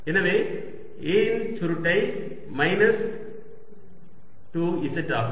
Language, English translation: Tamil, so curl of a is minus two z